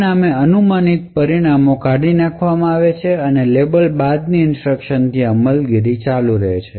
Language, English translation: Gujarati, As a result the speculated results are discarded and execution continues from the instructions following the label